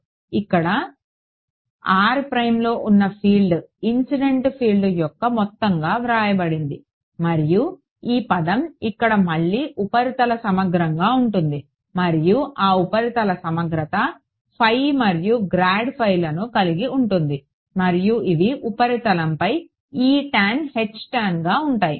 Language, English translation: Telugu, So, the field at some point over here r prime is written as a sum of the incident field and this term over here which is a surface integral again and that surface integral includes phi and grad phi which are E tan H tan on the surface